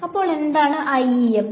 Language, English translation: Malayalam, So, what is IEM